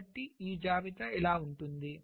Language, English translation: Telugu, so this list is like this